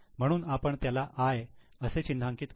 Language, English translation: Marathi, So we will write it as I